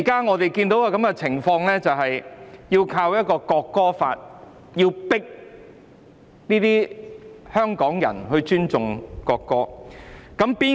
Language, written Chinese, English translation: Cantonese, 我們現在看到的情況是用《條例草案》強迫香港人尊重國歌。, The present situation is that Hong Kong people are forced to respect the national anthem by the Bill